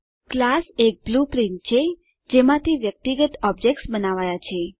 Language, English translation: Gujarati, A class is the blueprint from which individual objects are created